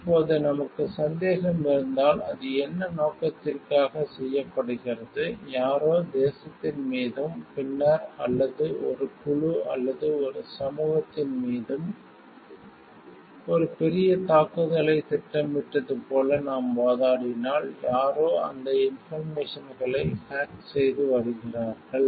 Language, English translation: Tamil, Now, if we have a suspicion and for also the purpose for what it is done, if we are arguing like somebody has planned a major attack on the nation and, then or on a group or a society, then somebody hacks those information and comes to know about it